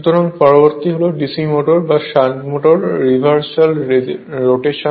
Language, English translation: Bengali, So, next is the reversal of rotation of DC motor or shunt motor